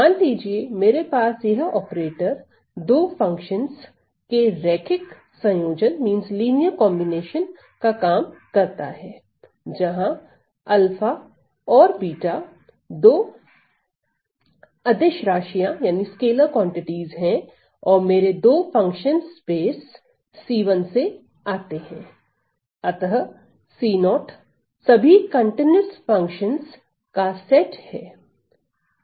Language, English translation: Hindi, So, suppose if I have this operator acting on the linear combination of two functions, where your these quantities alpha and beta these are scalars, and these are my functions coming from the space of c 1, so c 0, the set of all continuous functions